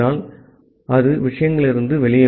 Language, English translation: Tamil, So, it will come out of the things